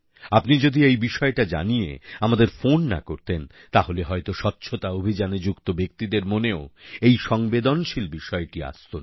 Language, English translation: Bengali, If you had not made a call about this aspect, perhaps those connected with this cleanliness movement might have also not thought about such a sensitive issue